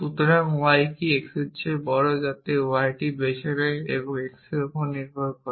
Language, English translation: Bengali, So, is that y is greater than x so that y that it choose depends upon x and therefore, we can think of it as a function of x